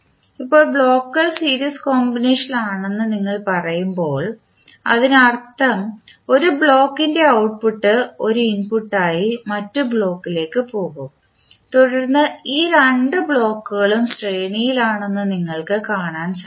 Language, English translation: Malayalam, Now, when you say that the blocks are in series combination it means that the blocks, the output of one block will go to other block as an input then we will see that these two blocks are in series